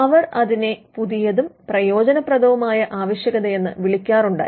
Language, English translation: Malayalam, They used to call it the new and useful requirement